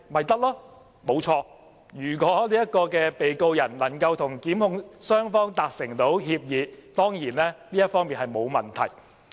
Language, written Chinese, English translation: Cantonese, 正確，如果被告人能夠與控方互相達成協議，當然這沒有問題。, This is true . It is of course fine if the defendant can reach a consensus with the prosecution